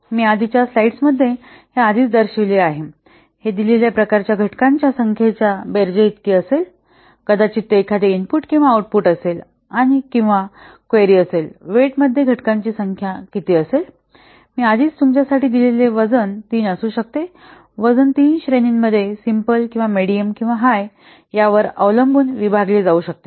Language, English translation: Marathi, This will be called to summation of number of elements of the given type maybe it is a input or output or query what is the number of elements into the weight I have already given you for simple there can be three the weights can be divided into three categories depending on whether it is simple or medium or high